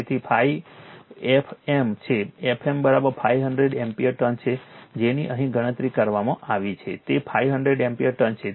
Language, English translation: Gujarati, So, phi f m f m is equal to your 500 ampere turns that you have calculated here it is, 500 ampere turns